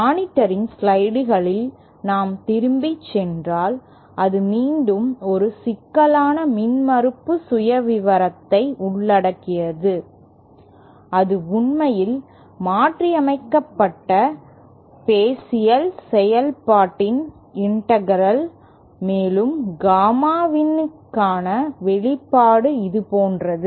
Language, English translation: Tamil, If we go back on the slides of monitor it again involves a complicated impedance profile, it is actually the integral of modified Bessel function and the expression for Gamma in you get is something like this